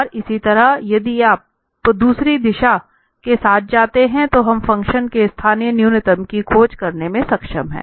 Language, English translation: Hindi, And similarly, if you go with the other direction minus del f, then we are able to search for the local minimum of the function